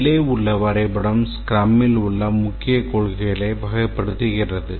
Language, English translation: Tamil, This diagram characterizes the main principles in the scrum